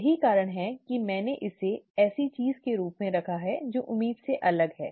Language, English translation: Hindi, That is the reason why I have put it down as something that is different from expected